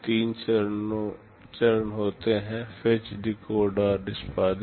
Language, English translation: Hindi, There are three stages, fetch, decode and execute